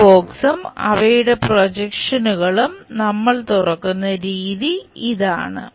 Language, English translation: Malayalam, This is the way we unfold this box and their projections